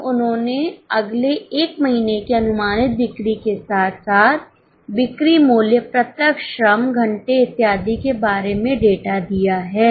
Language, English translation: Hindi, Now they have given the data about the next one month projected sales as well as sale prices, direct labour hours and so on